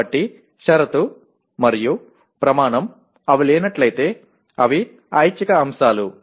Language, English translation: Telugu, So what happens, condition and criterion they are optional elements if they do not exist